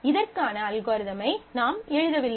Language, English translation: Tamil, So, here is the algorithm